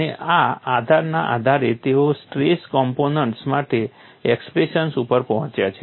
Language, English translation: Gujarati, Based on this premise, they have arrived at an expression for stress component